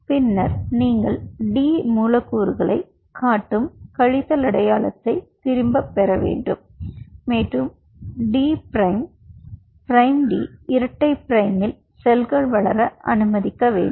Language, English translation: Tamil, then you have to withdraw the minus sign showing the d molecules and allow the cells to grow in d prime, d double prime, which is in the milli of differentiation molecules